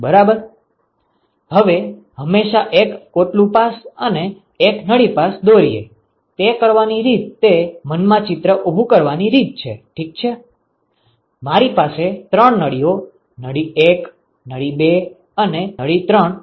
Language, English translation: Gujarati, Now, one can always draw a one shell pass and one tube pass, the way to do that is way to visualize that is: Ok, I have three tubes tube 1, tube 2 and tube 3